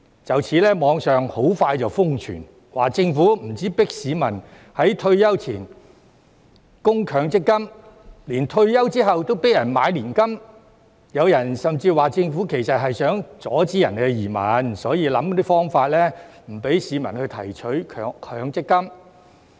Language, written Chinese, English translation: Cantonese, 就此，網上很快瘋傳，指政府不只迫市民在退休前供強積金，連退休後都迫人買年金，有人甚至說政府其實是想阻止人移民，所以想方法不讓市民提取強積金。, As such the allegation that the Government not only forces the public to make MPF contributions before retirement but also compels people to purchase annuities after retirement has gone viral on the Internet very quickly . Some people have even said that the Government actually wants to stop people from emigrating and so it has to think of a way to prevent people from withdrawing their MPF benefits